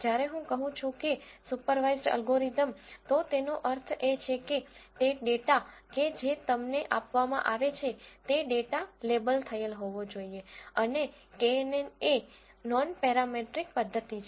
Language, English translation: Gujarati, When I say supervised learning algorithm that means the data that is provided to you has to be labelled data and knn is a non parametric method